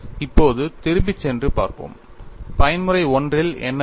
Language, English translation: Tamil, Now, let us go back and see, what happens in mode 1